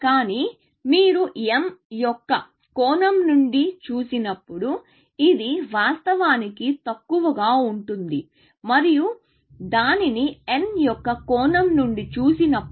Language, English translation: Telugu, But when you see from m’s perspective, it is actually less and when you see it from n’s perspective